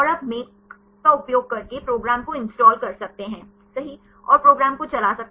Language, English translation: Hindi, And you can install the program by using make, right and you can run the program